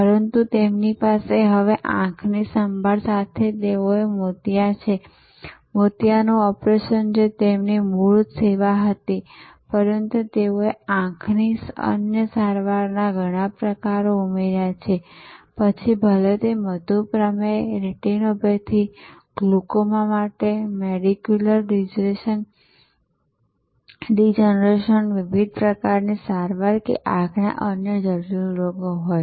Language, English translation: Gujarati, But, with an eye care they have now, they have cataract, which was their original service, cataract operation, but they have added so many different types of other eye treatments, whether for diabetic retinopathy, macular degeneration for glaucoma, for different kinds of other complex eye diseases